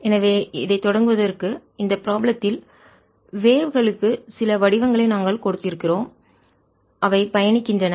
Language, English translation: Tamil, so to start with, in this problem, recall that we had given certain forms for waves which are traveling